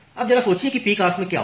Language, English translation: Hindi, Now, just think of what will happen at the peak hours